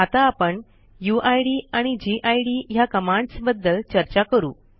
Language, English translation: Marathi, Let us now talk about the uid and gid commands